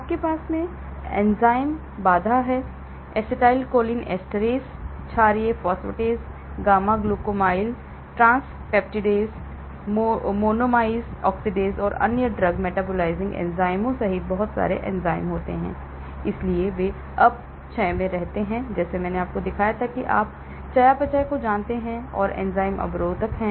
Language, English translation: Hindi, You have the enzymatic barrier; there are a lot of enzymes including acetylcholineesterase, alkaline phosphatase, gamma glutamyl transpeptidase, monoamine oxidase and other drug metabolizing enzymes, so they keep on degrading, like I showed you here you know metabolism that is the enzymatic barrier